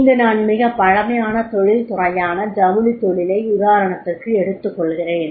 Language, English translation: Tamil, I would like to take the example of the very old industry that is of the textile industry